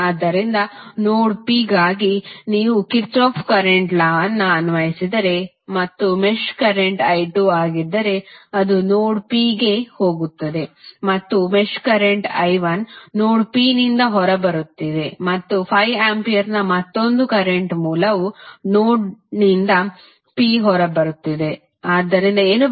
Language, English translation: Kannada, So, for node P if you apply Kirchhoff Current Law and if you see the mesh current is i 2 which is going in to node P and the mesh current i 2 is coming out of node P and another current source of 5 ampere is coming out of node P, so what you can write